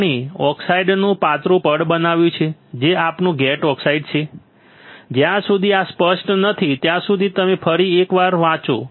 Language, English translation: Gujarati, We have grown thin layer of oxide which is our gate oxide, until this is clear yes no then you read once again